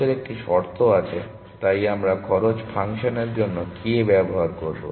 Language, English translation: Bengali, There is a condition on the cost; so we will use k for cost function